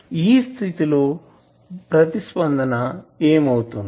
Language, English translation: Telugu, So, in that case what will be the response